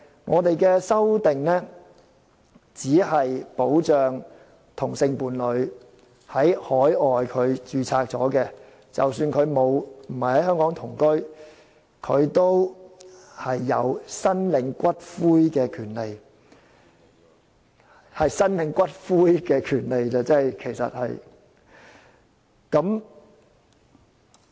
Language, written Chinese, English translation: Cantonese, 我們的修正案只是保障已在海外註冊的同性伴侶，令他們即使沒有在香港同居，也有申領伴侶骨灰的權利，只是申領骨灰的權利而已。, Our amendments serve only to protect same - sex partners who have registered overseas so that even though they do not live together in Hong Kong they will have the right to claim the ashes of their partners . It is just the right to claim the ashes and that is all